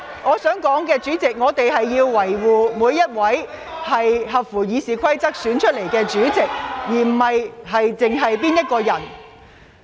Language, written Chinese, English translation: Cantonese, 主席，我想指出，我們應當維護每一位根據《議事規則》選出的委員會主席，而此事並非只關乎我個人。, President I would like to point out that it is important to protect all committee and panel chairmen elected in accordance with RoP and I am not the only one involved in this issue